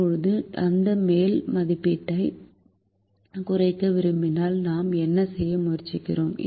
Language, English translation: Tamil, now, if we want to minimize that upper estimate, then what are we trying to do